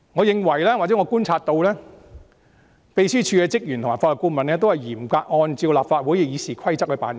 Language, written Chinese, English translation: Cantonese, 據我觀察所得，秘書處職員及法律顧問均嚴格按照立法會《議事規則》辦事。, As per my observation staff of the Secretariat and the Legal Adviser all conduct their work in strict adherence to the Rules of Procedure RoP of the Legislative Council